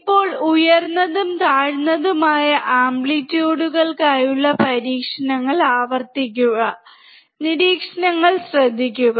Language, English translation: Malayalam, Now repeat the experiments for higher and lower amplitudes, and note down the observations